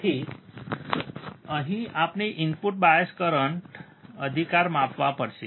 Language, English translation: Gujarati, So, here we have to measure input bias current right